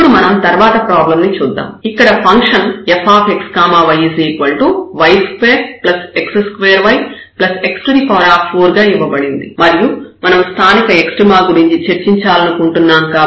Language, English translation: Telugu, And now we move to the next problem which is the function here f x y is equal to y square plus x square y and plus x 4 we want to discuss 4 local extrema